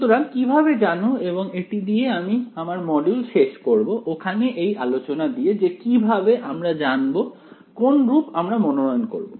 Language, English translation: Bengali, So, how do you know and this we will end this module over here with this discussion how do you know which form to choose